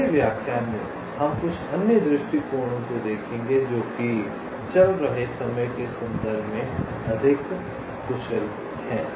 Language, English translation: Hindi, ok, on the next lecture, we shall be looking at some other approaches which are more efficient in terms of the running time